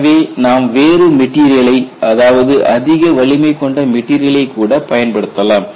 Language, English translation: Tamil, So, you use a different material high strength material